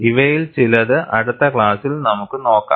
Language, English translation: Malayalam, We would see that in the next class